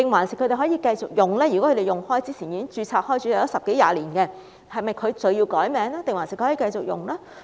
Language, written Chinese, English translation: Cantonese, 如果他們一直使用這個名稱，或之前已經註冊十多二十年，是否需要更改名稱還是可以繼續使用？, If they have registered under such names for 10 to 20 years will they be required to change the name or can they continue to use the name?